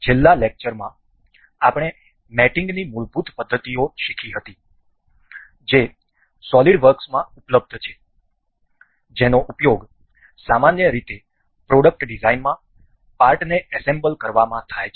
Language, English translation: Gujarati, In the last lecture, we have learnt the basic elementary methods of mating that are available in solidworks that are generally used in assembling the parts in product design